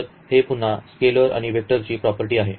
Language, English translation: Marathi, So, this is again this distributivity property of these scalars and vectors